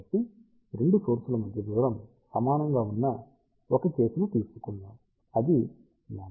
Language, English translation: Telugu, So, let us take a case when the distance between the 2 elements is equal to lambda by 2